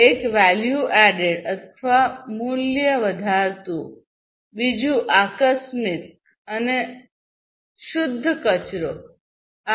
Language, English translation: Gujarati, One is value added; second is incidental, and pure waste